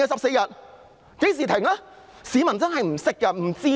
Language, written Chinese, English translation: Cantonese, 市民真的不懂、不知道的。, People truly do not understand . They truly do not know